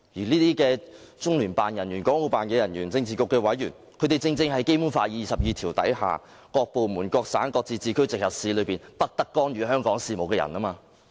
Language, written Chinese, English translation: Cantonese, 這些中聯辦、港澳辦人員、政治局委員正正就是《基本法》第二十二條所訂"各部門、各省、自治區、直轄市均不得干預"香港事務的人。, These personnel of LOCPG and HKMAO as well as the members of the Politburo fall exactly within the scope of Article 22 of the Basic Law which stipulates that [n]o department no province autonomous region or municipality directly under the Central Government may interfere in the affairs of Hong Kong